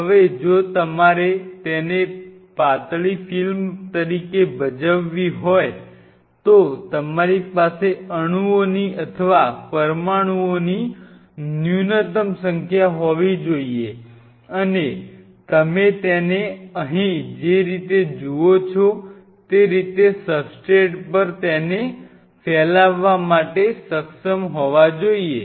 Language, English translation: Gujarati, Now if you have to play it as a thin film then you have to have minimalistic number of molecules or minimum number of molecules and you should be able to spread it out all over the substrate the way you see here